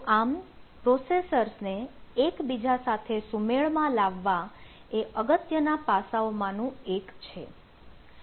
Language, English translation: Gujarati, so synchronization in between the processor is one of the important aspect